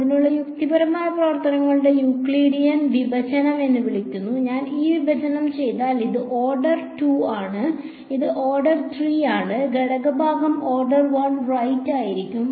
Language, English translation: Malayalam, It is called Euclidean division of rational functions, if I do this division this is order 2, this is order 3, the quotient will be order 1 right